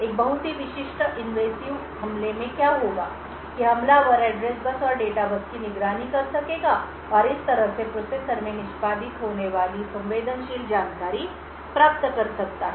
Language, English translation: Hindi, What would happen in a very typical invasive attack is that the attacker would be able to monitor the address bus and the data bus and thus gain access to may be sensitive information that is executing in the processor